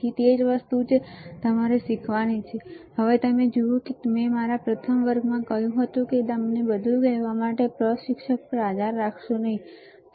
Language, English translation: Gujarati, So, that is the same thing that you have to learn, you see, I told you in my first class, that do not rely on instructor to tell you everything, right